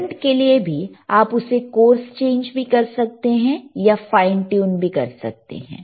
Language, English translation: Hindi, you can For current also, you can course the changinge or you can fine the tune it